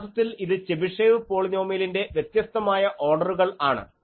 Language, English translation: Malayalam, Actually, this is various order of Chebyshev polynomial sorry here so, you see that it is a T n x